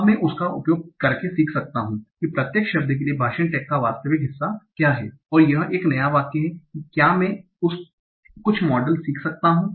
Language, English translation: Hindi, Now using that, can I learn what is the actual part of speech tag for each individual word in this, in a new sentence